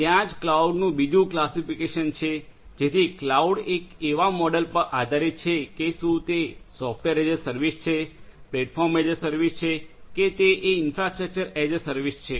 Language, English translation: Gujarati, There are there is another classification of clouds right so cloud one is based on this models whether it is software service platform is service or infrastructure is a service